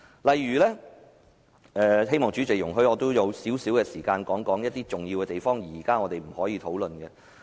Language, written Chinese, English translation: Cantonese, 我希望代理主席容許我用少許時間，指出一些重要而我們現在不能討論的問題。, I hope the Deputy President will allow me to spend some time to point out some important issues that we cannot discuss now